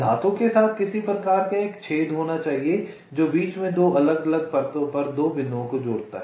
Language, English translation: Hindi, there has to be a some kind of a hole with a metal in between that connects two points on two different layers